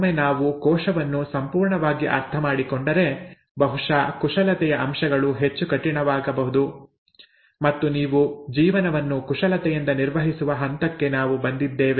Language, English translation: Kannada, Once we understand the cell completely then possibly the manipulations aspects can get more rigourous and we have come to a stage where you could manipulate life